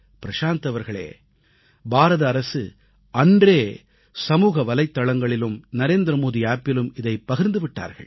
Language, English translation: Tamil, Prashant ji, the Government of India has already done that on social media and the Narendra Modi App, beginning that very day